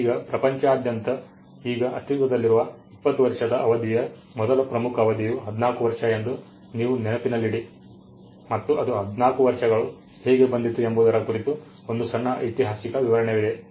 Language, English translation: Kannada, Now, mind you the predominant time period before this 20 year across the globe used to be 14 and there is a small explanation historical explanation as to how it came to be 14 years